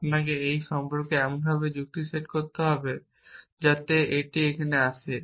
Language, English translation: Bengali, You have to set of reason about it in such a way that, this comes into here